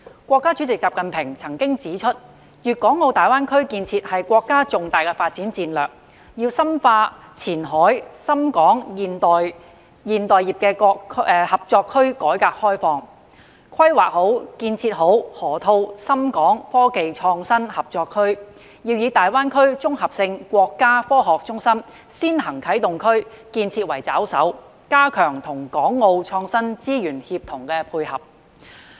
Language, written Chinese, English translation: Cantonese, 國家主席習近平指出，粵港澳大灣區建設是國家重大發展戰略，要深化前海深港現代服務業合作區改革開放，規劃建設好河套深港科技創新合作區，要以大灣區綜合性國家科學中心先行啟動區建設為抓手，加強與港澳創新資源協同配合。, As pointed out by President XI Jinping the GBA development is a key development strategy to deepen the reform and opening up of the Shenzhen - Hong Kong Modern Service Industry Cooperation Zone in Qianhai properly plan the development of Shenzhen - Hong Kong Innovation and Technology Cooperation Zone in the Loop and use the integrated national science centre in GBA as an early - start zone to strengthen the synergy and coordination of innovation resources with Hong Kong and Macao